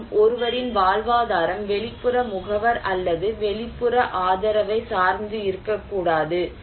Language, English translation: Tamil, Also, someone's livelihood should not depend on external agencies, external support